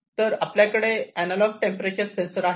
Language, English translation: Marathi, So, we can have analog temperature sensors, we can have digital temperature sensors